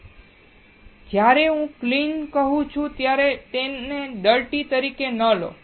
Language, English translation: Gujarati, Now, when I say clean do not take it as a dirty